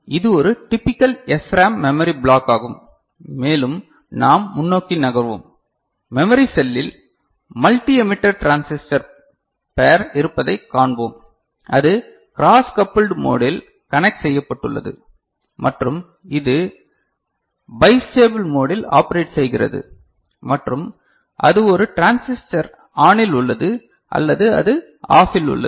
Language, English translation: Tamil, So, this is a typical SRAM you know memory block and we shall move forward and in the memory cell, we shall see that there is a multi emitter transistor pair, connected in a cross coupled mode and which is operating in a bistable mode as well that is either it is one transistor is ON or it is OFF ok